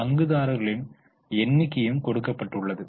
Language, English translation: Tamil, The number of shareholders are given